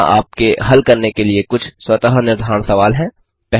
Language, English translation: Hindi, Here are some self assessment questions for you 1